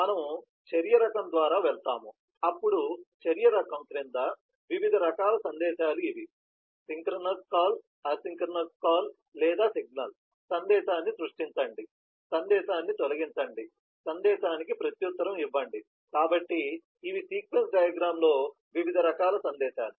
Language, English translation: Telugu, so we go by action type, then various types of messages under the action type are these: synchronous call, asynchronous call or signal, create message, delete message, reply a message, so these are the kinds of messages that are allowed in a sequence diagram